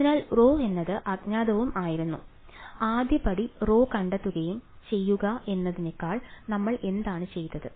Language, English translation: Malayalam, So, rho was the unknown and ah, so the first step was to find rho and to find rho what did we do